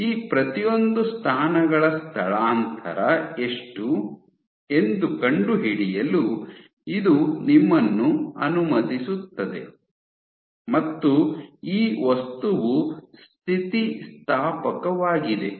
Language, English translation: Kannada, So, this allows you to find out how much has been the displacement of each of these positions, and because this material is as elastic